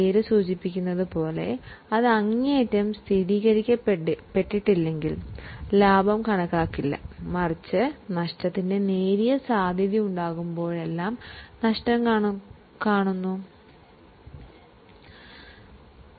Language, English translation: Malayalam, As the name suggests, it is about not showing profit unless it is extremely confirmed, but showing all losses whenever there is a slight likelihood of a loss